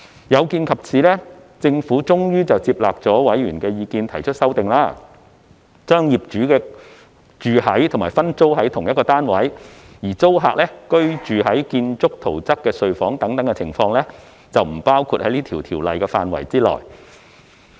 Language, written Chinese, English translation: Cantonese, 有見及此，政府最終接納了委員的意見提出修訂，將業主居於及分租同一單位、而租客居於建築圖則中被劃定為睡房的處所等情況，不包括在《條例草案》的範圍內。, In view of this the Government eventually took on board members views and proposed an amendment to set out circumstances that are excluded from the scope of the Bill such as the circumstances in which the landlord resides in the unit and sublets it whilst the tenant resides in the premises that are demarcated as a bedroom in the building plan